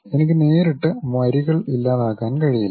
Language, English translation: Malayalam, I cannot straight away delete the lines and so on